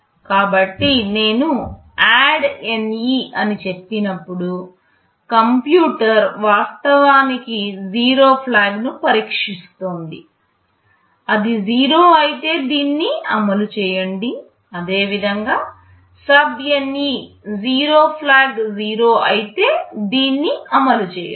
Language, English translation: Telugu, So, when I say ADDNE, the computer is actually testing the 0 flag; if it is 0 then execute this; similarly SUBNE; if the 0 flag is 0, then execute this